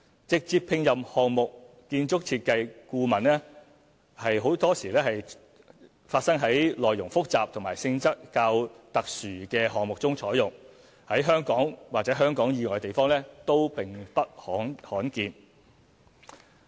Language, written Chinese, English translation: Cantonese, 直接聘任項目建築設計顧問多發生在內容複雜和性質較特殊的項目中採用，在香港或香港以外地方都並不罕見。, Direct appointment of an architect is usually done for special projects that are complicated andor are sensitive and it is not uncommon in Hong Kong and elsewhere